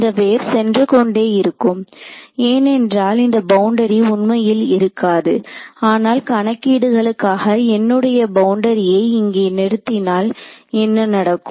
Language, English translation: Tamil, It will keep going this wave will keep going because this boundary does not actually exist, but mathematically when I end my boundary over here what will happen